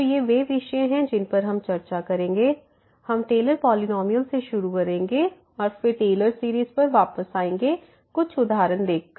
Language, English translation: Hindi, So, these are the topics you will cover will start with the Taylor’s polynomial and then coming back to this Taylor series from the Taylor’s polynomial and some worked out examples